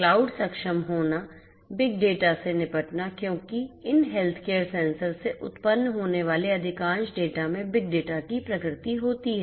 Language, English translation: Hindi, Cloud enablement, you know dealing with big data because most of this data that is generated from these healthcare sensors have the nature of big data